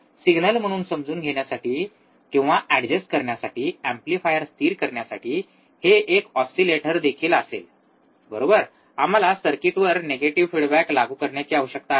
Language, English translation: Marathi, It will be an oscillator to, to make the amplifier stable to understand or adjust the signal, right, we need to apply a negative feedback to the circuit